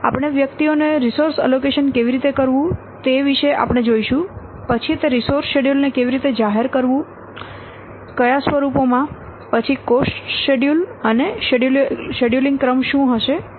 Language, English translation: Gujarati, We will see about how to allocate resources to individuals, then how to publicize the resource schedules in what forms, then the cost schedules and what will the scheduling sequence